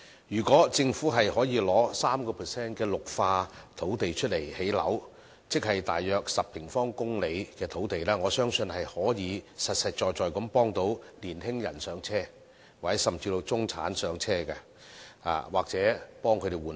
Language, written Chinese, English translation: Cantonese, 如果政府可以用 3% 的綠化土地來興建樓宇，即是大約10平方公里的土地，我相信可以實實在在協助年輕人"上車"，協助中產換樓。, If the Government can use 3 % of such areas for housing construction I believe this can genuinely help young people in purchasing starter homes and middle - class people in buying homes for replacement